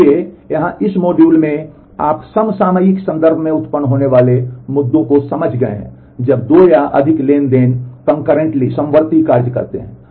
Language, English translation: Hindi, So, here in this module, you have understood the issues that arise in terms of concurrency when 2 or more transactions work concurrently